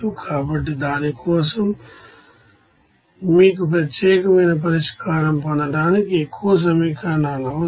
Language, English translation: Telugu, So, for that you need more equations to get unique solution